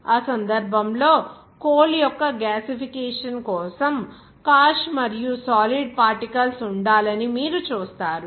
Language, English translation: Telugu, Even you will see that gasification of the coal in that case cash and solid particles should be there